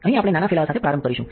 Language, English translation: Gujarati, So, here we will start with a small spreading